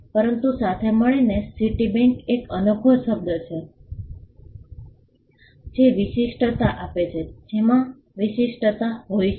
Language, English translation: Gujarati, But together Citibank is a unique word which gives distinct which has distinctiveness